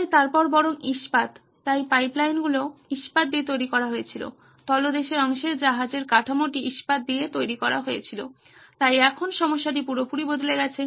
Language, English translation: Bengali, So then steel rather, so the pipelines were made of steel, the underneath, the hull of the ship was made of steel, so now the problem had shifted completely